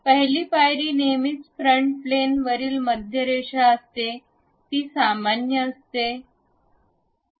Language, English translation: Marathi, The first step is always be centre line on a front plane, normal to it